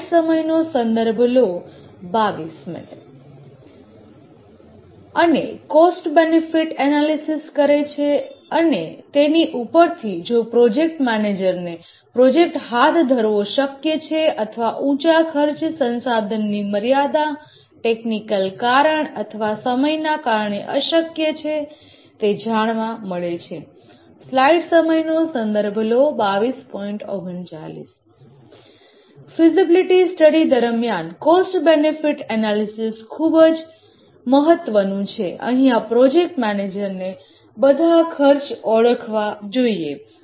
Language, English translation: Gujarati, And based on this, the project manager finds that it is feasible to carry out the project or I find that it is infeasible due to high cost resource constraint technical reasons or schedule reason the cost benefit analysis is a important activity during the feasibility study